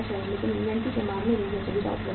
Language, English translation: Hindi, But this facility is not available in case of the inventory